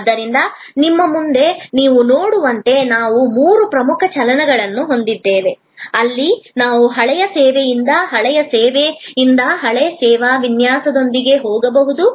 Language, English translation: Kannada, So, in short as you see in front of you, we have three major moves, where we can go with a new service design out of an old service, outdated service